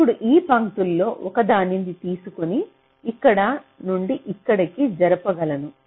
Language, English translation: Telugu, now suppose this one of this lines i can move it to here from here, like this